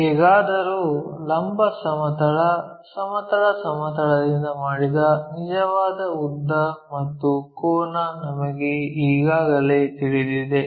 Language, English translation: Kannada, Somehow we already know that true length and angle made by the vertical plane, horizontal plane